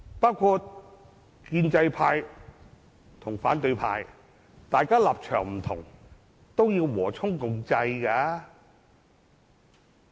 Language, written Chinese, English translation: Cantonese, 以建制派和反對派為例，即使大家立場不同，亦應和衷共濟。, Take the pro - establishment and pro - democracy camps as an example . Despite differences in political stances the two camps should collaborate